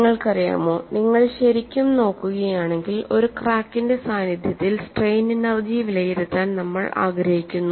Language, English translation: Malayalam, You know, if you really look at, we want to evaluate strain energy in the presence of a crack